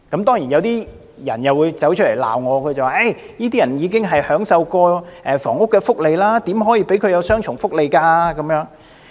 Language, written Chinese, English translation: Cantonese, 當然有人會站出來指責我，說這些人已經享受過房屋福利，怎可以讓他們享有雙重福利？, Of course some people will come forth to accuse me saying that these people have already enjoyed housing benefits and they should not be allowed to enjoy double benefits